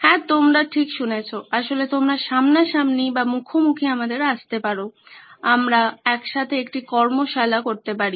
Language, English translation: Bengali, Yes, you heard me right you can actually come face to face we can have a workshop together